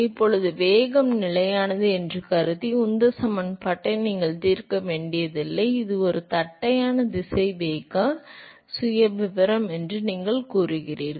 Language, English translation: Tamil, Now you do not have to solve the momentum equation assuming that the velocity is constant right, you say it is a flat velocity profile